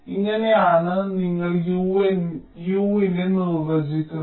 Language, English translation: Malayalam, this is how you define u